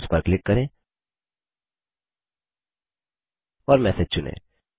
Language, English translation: Hindi, Click on Inbox and select a message